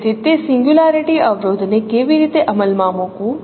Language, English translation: Gujarati, So how to enforce that singularity constraint